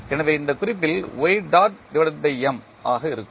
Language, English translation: Tamil, So, at this note will be y dot by M